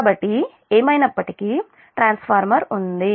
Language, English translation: Telugu, so there is a transformer in anyway